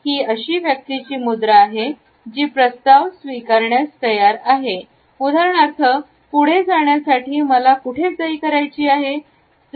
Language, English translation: Marathi, This is the posture of a person who is willing to accept the proposal for example, where do I signed now to move on further